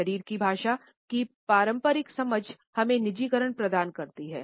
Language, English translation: Hindi, The conventional understanding of body language used to provide us a personalization